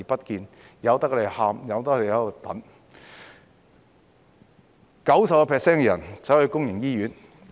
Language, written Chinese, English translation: Cantonese, 有 90% 的病人前往公營醫院。, Ninety per cent of patients are visiting public hospitals